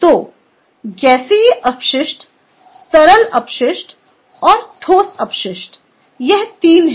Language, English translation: Hindi, ok, so there are the gaseous waste, liquid waste and solid waste